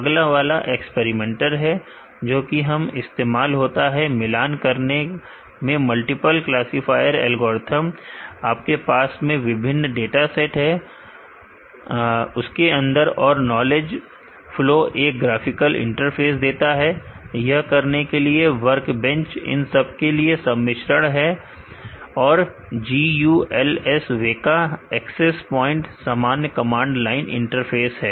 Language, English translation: Hindi, The next one experimenter experimenter is used to compare multiple,classifiers, algorithms with a different dataset for your work and knowledge flow gives a graphical interface to do this, workbench is a composite of all this and simple command line interface is a GULS WEKA access point